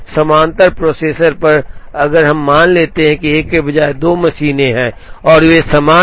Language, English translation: Hindi, On parallel processors, now if we assume that, there are two machines instead of 1 and they are identical